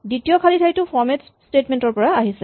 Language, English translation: Assamese, The second blank comes from the format statement